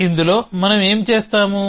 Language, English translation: Telugu, So, what we that do in this